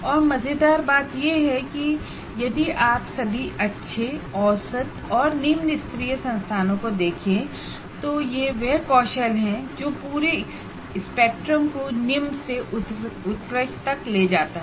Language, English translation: Hindi, If you look at any all good or average or low end institutions that you take, this skill runs the full spectrum from poor to excellent